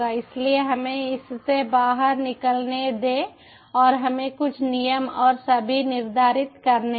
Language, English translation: Hindi, so lets exit it and lets set some rules and all